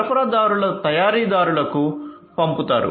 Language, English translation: Telugu, So, suppliers which are going to be sent to the manufacturers